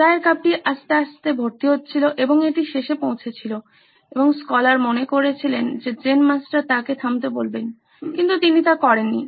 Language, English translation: Bengali, The tea cup was slowly filling up little by little and it reached the end and the scholar thought that the Zen Master would ask him to stop but he didn’t